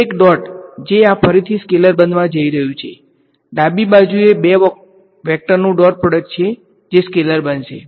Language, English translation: Gujarati, So, this is a scalar A dot something this is again going to be a scalar, left hand side is dot product of two vectors going to be a scalar right